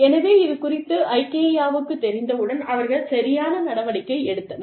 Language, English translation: Tamil, So, as soon as, Ikea came to know about this, they took corrective action